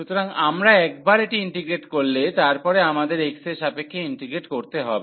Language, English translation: Bengali, So, once we integrate this one, then we have to integrate then with respect to x